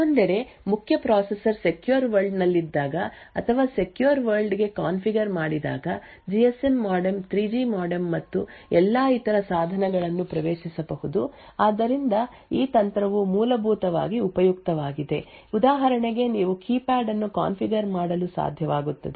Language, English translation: Kannada, On the other hand when the main processor is in the secure world or configured for the secure world then the GSM modem the 3G modem and all other devices would become accessible so this technique is essentially useful for example where you are able to configure say the keypad to only work in the secure world